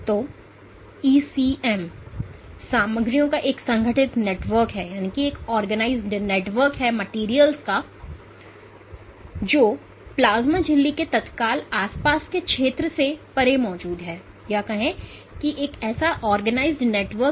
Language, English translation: Hindi, So, the ECM is an organized network of materials that is present beyond the immediate vicinity of the plasma membrane